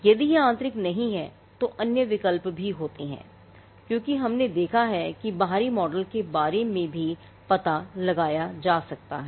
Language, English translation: Hindi, There are other options if it is not internal as we had seen the external model is something which can also be explored